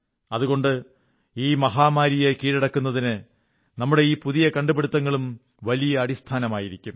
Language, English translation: Malayalam, Thus, these special innovations form the firm basis of our victory over the pandemic